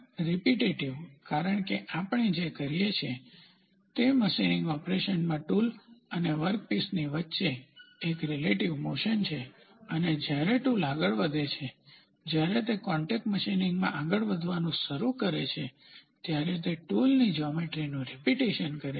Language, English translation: Gujarati, Repetitive because, in machining operation what we do there is a relative motion between tool and the workpiece and as when the tool moves, it is repeating the tool geometry when it starts moving in the contact machining